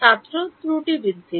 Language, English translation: Bengali, The error increase